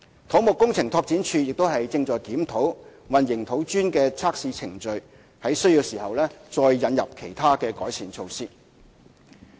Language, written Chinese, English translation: Cantonese, 土木工程拓展署亦正檢討混凝土磚的測試程序，在需要時再引入其他改善措施。, CEDD is currently reviewing its procedures for testing concrete cubes and will introduce other improvement measures as and when necessary